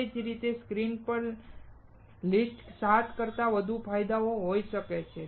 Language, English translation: Gujarati, In the same way, there can be more advantage other than 7 listed on the screen